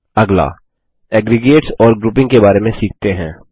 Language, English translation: Hindi, Next, let us learn about aggregates and grouping